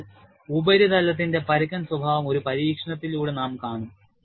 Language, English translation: Malayalam, So, the roughness of the surface should change, which you would see by an experiment